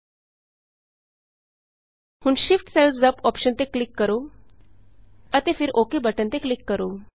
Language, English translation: Punjabi, Now click on the Shift cells up option and then click on the OK button